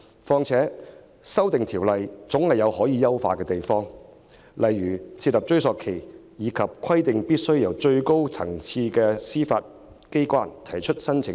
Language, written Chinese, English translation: Cantonese, 再者，《逃犯條例》的修訂總有可以優化之處，例如設立追溯期及規定必須由最高層次的司法機關提出申請等。, Moreover the amendments to FOO can always be optimized by for example setting a retrospective period and stipulating that applications must be made by the highest - level judicial authority